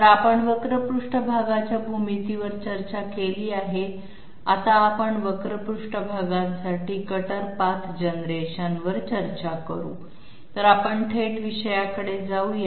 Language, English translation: Marathi, So we have discussed curved surface geometry, now we will discuss cuter path generation for curved surfaces, so let us move right into the subject